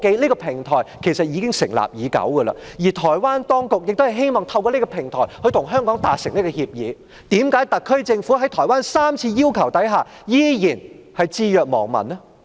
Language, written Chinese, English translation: Cantonese, 這個平台成立已久，而台灣當局亦希望透過這個平台與香港達成協議，為何特區政府在台灣3次要求下，仍然置若罔聞呢？, This platform has been established for quite some time and the Taiwan authorities also hope to reach an agreement with Hong Kong through this platform . Why has the SAR Government turned a deaf ear to the request made by the Taiwan authorities on three occasions?